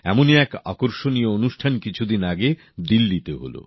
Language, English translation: Bengali, One such interesting programme was held in Delhi recently